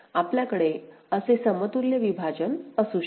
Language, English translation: Marathi, So, we can have an equivalent partition like this